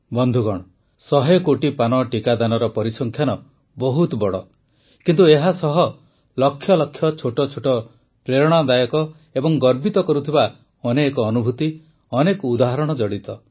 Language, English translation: Odia, the figure of 100 crore vaccine doses might surely be enormous, but there are lakhs of tiny inspirational and prideevoking experiences, numerous examples that are associated with it